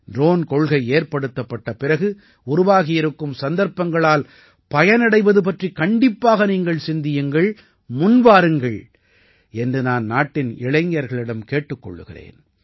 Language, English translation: Tamil, I will also urge the youth of the country to certainly think about taking advantage of the opportunities created after the Drone Policy and come forward